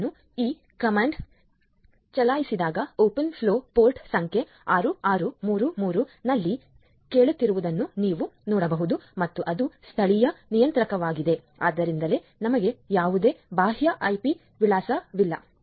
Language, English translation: Kannada, So, let me run this command so, you can see the open flow is listening on port number 6633 and it is the local controller so that is why we do not have any external IP address